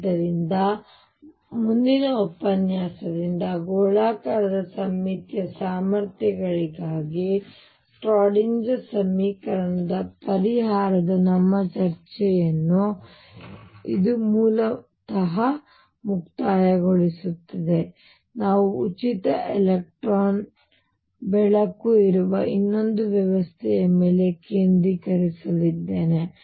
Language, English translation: Kannada, So, this concludes basically our discussion of solution of the Schrödinger equation for spherically symmetric potentials from next lecture onwards, I am going to concentrate on another system which is free electron light